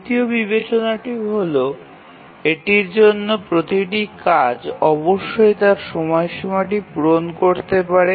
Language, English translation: Bengali, The third consideration is every task must meet its deadline